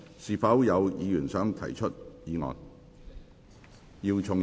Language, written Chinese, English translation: Cantonese, 是否有議員想動議議案？, Does any Member wish to move the motion?